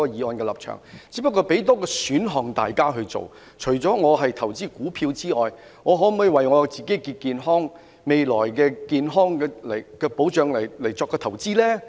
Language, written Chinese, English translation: Cantonese, 我只不過是給大家多一個選項，我們除了投資股票外，可否為自己的健康或未來的健康保障作出投資呢？, I am only trying to give people an additional option . Apart from investing in stocks can we invest in our health or a future health protection?